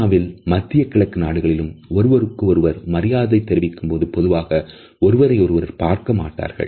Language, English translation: Tamil, In China as well as in Middle East a one has to pay respect to the other person, the eye contact is normally avoided